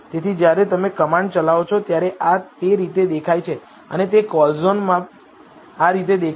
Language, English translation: Gujarati, So, this is how it looks when you run the command and this is how it would look in the callzone